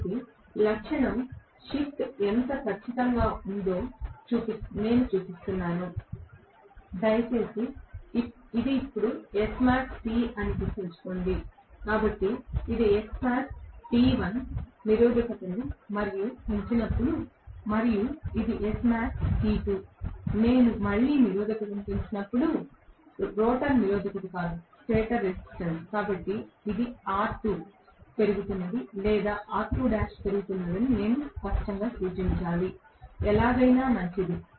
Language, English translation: Telugu, So, I am just showing how exactly the characteristic shift, please, remember this is what is S max T now, so this is S max T1, when I increase the resistance further and this is S max T2, when I again increase the resistance further, rotor resistance not the stator resistance, so I should very clearly indicate this is R2 increasing or R2 dash increasing, either way it is fine